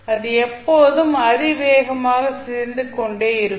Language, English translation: Tamil, So, it will always be exponentially decaying